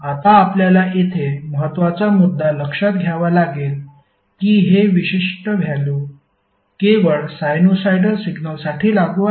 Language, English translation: Marathi, Now you have to note the important point here that this particular value is applicable only for sinusoidal signals